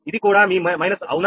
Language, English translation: Telugu, so this is also your minus, right